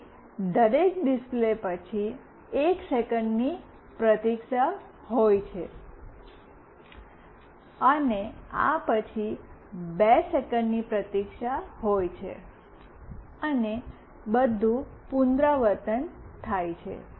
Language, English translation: Gujarati, Then after every display there is a wait of 1 second, and after this there is a wait of 2 seconds, and everything repeats